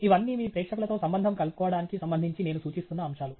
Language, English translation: Telugu, All these are points that I am indicating with respect to connecting with your audience